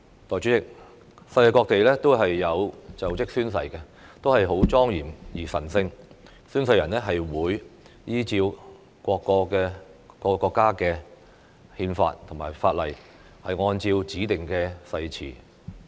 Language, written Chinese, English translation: Cantonese, 代理主席，世界各地的就職宣誓都是莊嚴而神聖的，宣誓人會依照各國憲法或法例，按照指定的誓詞宣誓。, Deputy President the taking of oath when assuming office is solemn and sacred all over the world during which an oath taker is required to take the oath in accordance with the constitution or laws of the respective country and in accordance with the prescribed wording of the oath